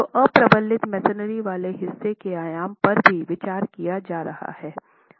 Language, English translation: Hindi, So, dimensioning of the unreinforced masonry part is also being considered